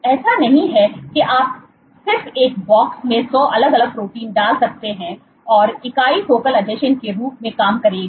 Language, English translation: Hindi, It is not that you just put hundred different proteins in a box and the entity will operate as a focal adhesion